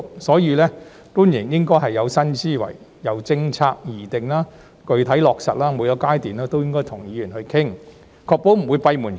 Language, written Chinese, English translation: Cantonese, 所以，官員應該有新思維，由政策的擬定到具體落實，每個階段都應跟議員商討，確保不會閉門造車。, Therefore officials should adopting a new mindset discuss policies with Members at every stage from the drawing up to the concrete implementation to ensure that they will not make uninformed decisions